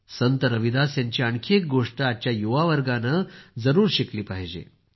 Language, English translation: Marathi, Our youth must learn one more thing from Sant Ravidas ji